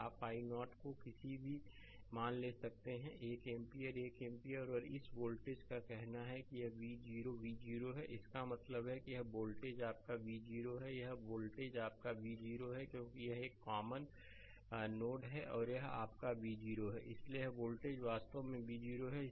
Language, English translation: Hindi, You can take i 0 any values say 1 ampere right, 1 ampere and this voltage this voltage say it is V 0 V 0 means this is the voltage your V 0 right, this is the voltage your V 0 right, because this is a common node and this is your V 0; so, this voltage actually V 0